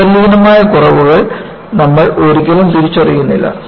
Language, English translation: Malayalam, You never recognize inherent flaws